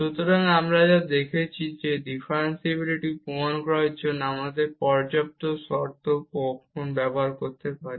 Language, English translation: Bengali, So, what we have seen that to prove the differentiability either we can use the sufficient condition